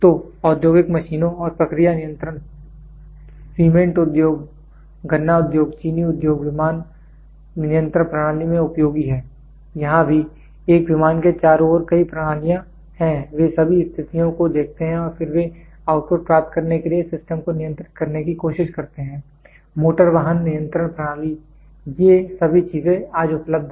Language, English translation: Hindi, So, industrial machines and process control this is useful in cement industry, sugarcane industry, sugar industry, aircraft control systems; here also, there are several systems around a plane they look at all the conditions and then they try to control the system to get the output, automotive control systems all these things are available today